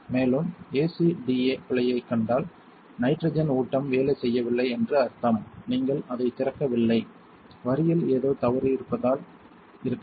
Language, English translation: Tamil, Also if you see ACDA error that means the nitrogen feed is not working it could be because, you did not open it is it could be because something wrong with the line